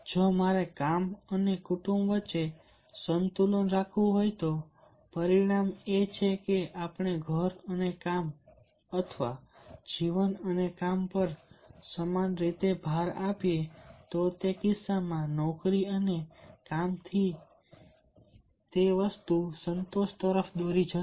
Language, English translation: Gujarati, say, if the i want to have the balance between work and family, he outcome is that if we equally emphasize on home and work, or the life and the work, then in that case it will lead to job and work satisfaction